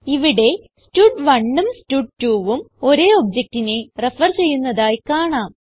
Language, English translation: Malayalam, We can see that here both stud1 and stud2 refers to the same object